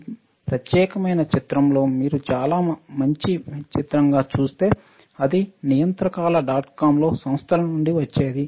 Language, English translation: Telugu, If you see this particular images which is very nice image, it was from enterprises in the regulators dot com